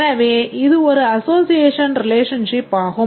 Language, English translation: Tamil, These are all association relations